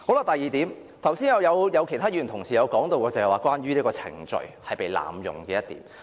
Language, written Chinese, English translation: Cantonese, 第二點，剛才也有其他議員提及，是關於程序被濫用這點。, The second point as also mentioned by other Members just now is about abuse of procedure